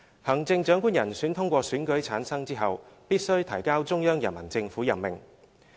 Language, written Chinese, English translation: Cantonese, 行政長官人選通過選舉產生後，必須提交中央人民政府任命。, After the Chief Executive has been elected he shall be appointed by the Central Peoples Government